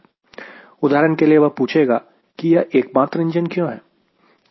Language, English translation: Hindi, for example, you will ask: what is a single engine